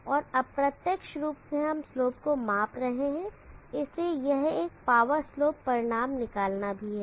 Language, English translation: Hindi, And indirectly we are measuring the slopes, so this is also a power slope deduction